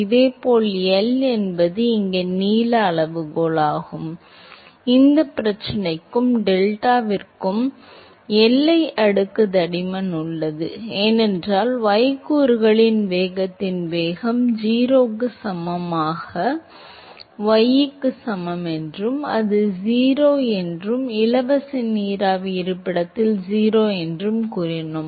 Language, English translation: Tamil, Similarly, L is the length scale here, for this problem and delta which is the boundary layer thickness, because we said that the velocity of the y component velocity is 0 at y equal to 0 and it is also 0 in the free steam location right